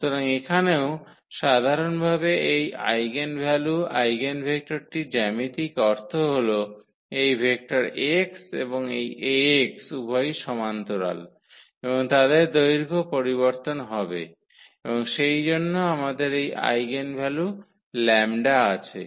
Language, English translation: Bengali, So, here also the geometrical meaning of this eigenvalues eigenvector in general is that of this vector this x and this Ax both are parallel and their magnitude will change and therefore, we have this eigenvalue lambda